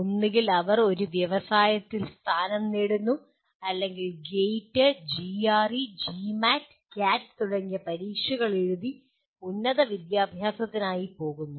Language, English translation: Malayalam, Either they get placed in an industry or they go for a higher education by writing a examinations like GATE, GRE, GMAT, CAT and so on